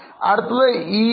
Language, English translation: Malayalam, The next is EBITA